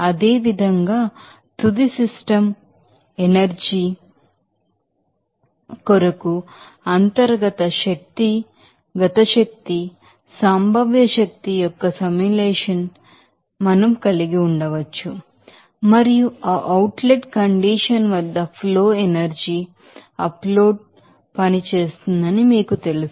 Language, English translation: Telugu, Similarly, for the final system energy, we can have the summation of internal energy, kinetic energy potential energy and you know that flow energy upload work at that outlet condition